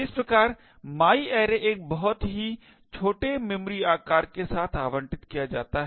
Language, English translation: Hindi, Thus, my array gets allocated with a very small memory size